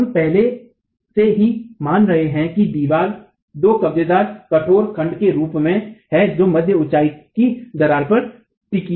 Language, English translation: Hindi, So we are already assuming that the wall is in the form of two rigid blocks hinged at the mid height crack itself